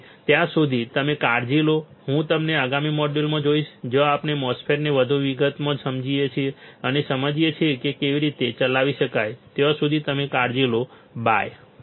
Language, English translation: Gujarati, So, till then you guys take care and I will see you in the next module, where we understand the MOSFET in further details and understand how it can be operated till then you take care, bye